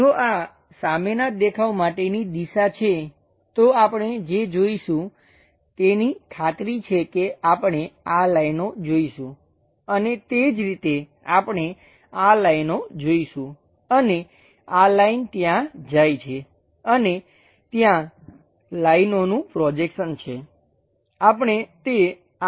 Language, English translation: Gujarati, If this is the direction for front view, what we will see is surely we will see these lines and similarly, we will see these lines and this line goes all the way there and there is a projection of lines, we will see that up to this portion